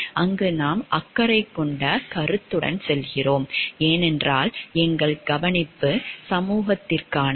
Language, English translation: Tamil, There we go by the caring concept because our care is for the society at large